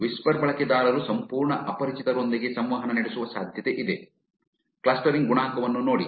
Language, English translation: Kannada, Whisper users are likely to interact with complete strangers, look at the clustering coefficient